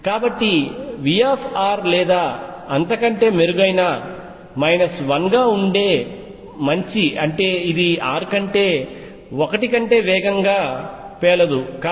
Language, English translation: Telugu, So, V r that goes as maybe minus 1 over r or better; better I mean it does not blow up faster than 1 over r